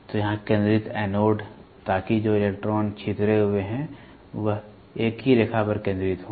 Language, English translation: Hindi, So, here is focusing anode; so that the electrons which are dispersed are focused onto a single line